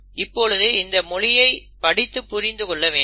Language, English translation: Tamil, But that language has to be read and interpreted